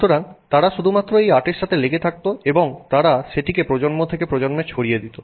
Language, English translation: Bengali, So, they would just stick to this art and they would pass it on from generation to generation to generation